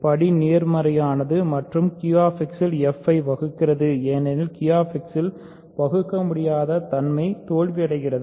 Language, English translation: Tamil, So, the degree is positive and it divides f in Q X because irreducibility is failing in Q X